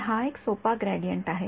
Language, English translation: Marathi, So, it's a simple gradient